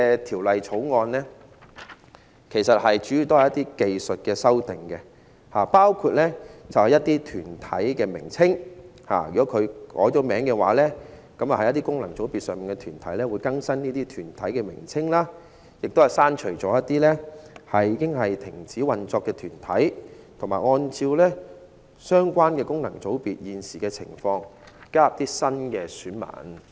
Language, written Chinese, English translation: Cantonese, 《條例草案》主要是關乎一些技術修訂，包括對功能界別中一些已改名的團體更新其名稱，同時亦刪除了一些已經停止運作的團體，並按照相關功能界別現時的情況，加入新的選民。, The Bill is mainly concerned with some technical amendments namely revising the names of corporates that have had their names changed removing corporates which have ceased operation and adding new electors in the light of the prevailing situation of the functional constituencies FCs concerned . It is concerned with FCs